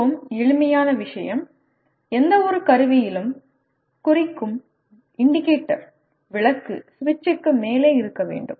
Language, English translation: Tamil, Like very simple thing, the indicator lamp on any instrument should be above the switch